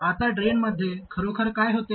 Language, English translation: Marathi, Now what really happens at the drain